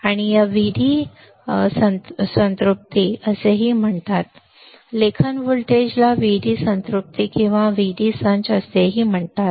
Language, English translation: Marathi, So, it is also called VD saturation right write voltage is also called VD saturation or VD set